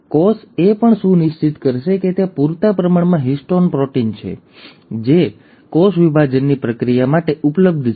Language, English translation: Gujarati, The cell will also ensure that there is a sufficient histone proteins which are available for the process of cell division to take place